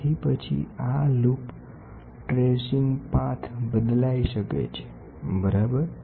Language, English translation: Gujarati, So, then this loop the tracing path might change, ok